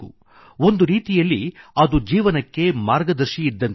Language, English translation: Kannada, In a way, it is a guide for life